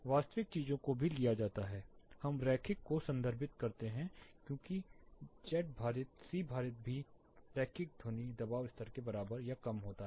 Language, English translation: Hindi, The actual thing is taken more or less we refer linear as z weighted C weighted is also more or less equal to the linear sound pressure level